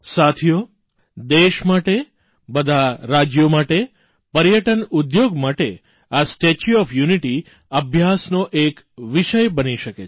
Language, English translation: Gujarati, Friends, for our nation and the constituent states, as well as for the tourism industry, this 'Statue of Unity' can be a subject of research